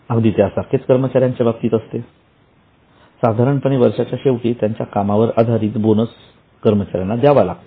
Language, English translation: Marathi, Same way to the employees, normally bonus is paid at the end of the year based on their performance